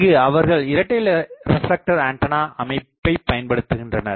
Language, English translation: Tamil, So, there thing is dual reflector antenna system